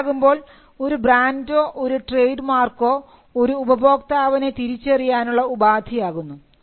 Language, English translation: Malayalam, So, the brand, the trade mark becomes a source of identity for the customer